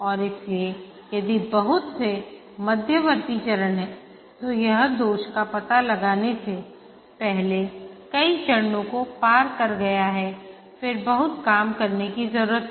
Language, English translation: Hindi, And therefore, if there are a lot of intermediate phases, it has crossed many phases before the defect is detected, then lot of rework is needed